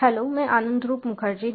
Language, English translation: Hindi, hello, i am anandhroop mukharjee